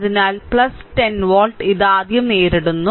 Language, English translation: Malayalam, So, plus 10 volt, it is encountering first